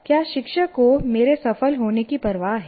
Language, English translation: Hindi, Does the teacher care whether I succeed